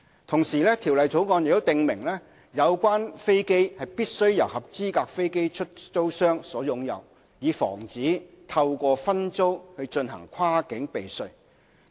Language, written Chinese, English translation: Cantonese, 同時，《條例草案》訂明有關飛機必須由合資格飛機出租商所擁有，以防止透過分租進行跨境避稅。, The Bill also provides that the subject aircraft must be owned by the qualifying aircraft lessor so as to prevent cross - border tax abuse via subleasing